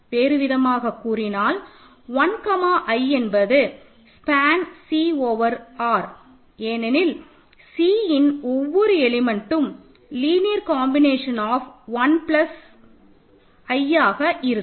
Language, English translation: Tamil, So, in other words 1 comma i span C over R because every element of C is an R linear combination of 1 and i